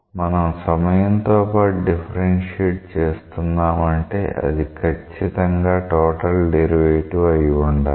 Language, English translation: Telugu, When we say we want to differentiate with respect to time, it has to be a total derivative